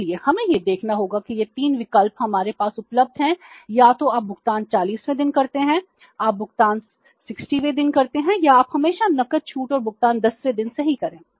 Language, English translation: Hindi, So, we have to see that these are the three options available to us that either you make the payment on the 40th day, you make the payment on 60th day or you avail the cash discount and make the payment on the 10th day